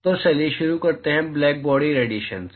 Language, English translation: Hindi, So, let us start with blackbody radiation